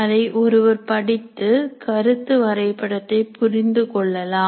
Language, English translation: Tamil, One can read that and understand the concept map